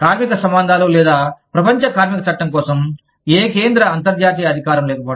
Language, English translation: Telugu, Lack of any central international authority, for labor relations, or global labor law